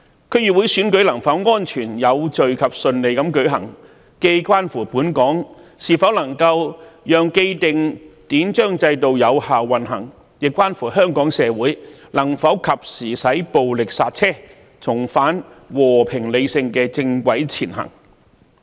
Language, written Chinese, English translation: Cantonese, 區議會選舉能否安全、有序及順利地舉行，既關乎本港能否讓既定的典章制度有效運行，亦關乎香港社會能否及時使暴力剎車，重返和平理性的正軌前行。, The question of whether the DC Election can be held in a safe orderly and smooth manner not only concerns whether Hong Kong can ensure the effective operation of its established institutions and systems but also whether Hong Kong society can put a timely stop to violence and get back on the right track of peace and rationality